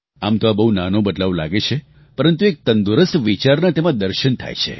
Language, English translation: Gujarati, It appears to be a minor change but it reflects a vision of a healthy thought